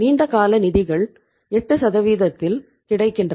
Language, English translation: Tamil, Long term funds are available at the rate of 8% right